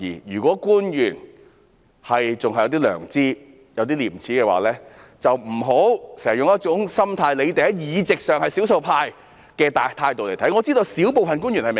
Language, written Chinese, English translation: Cantonese, 如果官員還有一點良知及稍有廉耻的話，便不要經常用一種"你們在議席上是少數派"的態度來看待事情。, This is the will of a lot of people . Should the officials still have a little conscience and a bit shame they should not always look at things with the attitude that you are the minority in terms of the number of seats